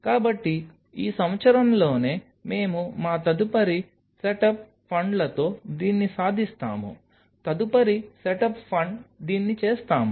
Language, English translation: Telugu, So, within this year we will achieve this with our next set up funds will do this, next set up fund do this